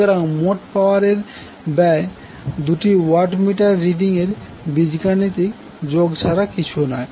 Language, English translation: Bengali, So the total power will be equal to the algebraic sum of two watt meter readings